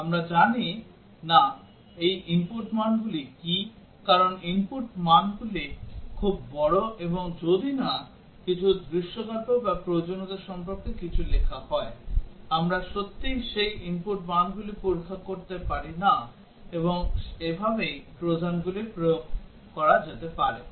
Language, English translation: Bengali, We do not know what are those input values, because input values are very large, and unless some scenario or something is written about that in the requirements, we cannot really test those input values and that is how Trojans can be implemented